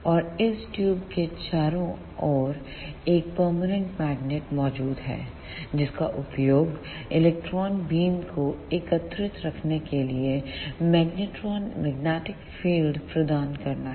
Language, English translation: Hindi, And there is a permanent magnet present all around this tube, which is used to provide magnetic field to hold the electron beams